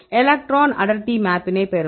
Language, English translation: Tamil, Map you will get the electron density map